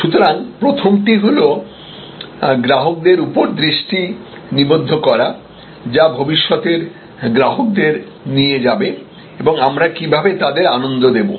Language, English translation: Bengali, So, first is focus on current customers, which will lead to future customers and how we will delight them